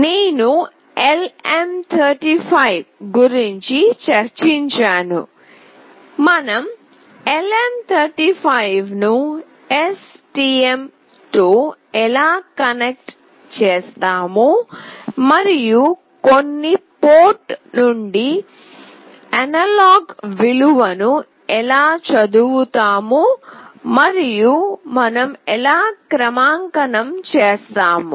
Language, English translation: Telugu, I have discussed about LM35, how do we connect LM35 with STM and how do we read an analog value from certain port and also how do we calibrate